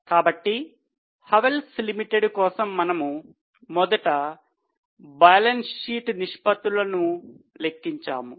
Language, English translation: Telugu, So, for Havels Limited, we have calculated first the balance sheet ratios, three important ratios